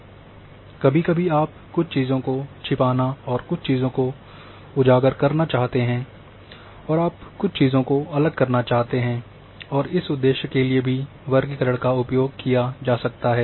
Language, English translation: Hindi, Sometimes you would like to hide certain things and highlight certain things and you want to de emphasize something and for that purpose also the classification can be used